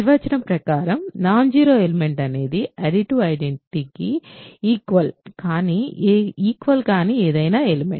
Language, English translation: Telugu, Non zero element by definition is any element that is not equal to the additive identity